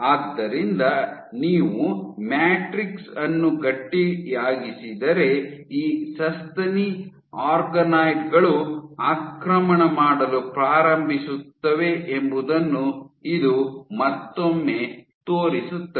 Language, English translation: Kannada, So, this once again demonstrates that if you make the matrix stiffer then these mammary organoids start to invade